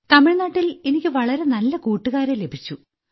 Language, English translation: Malayalam, I have made good friends in Tamil Nadu… have adapted to the culture there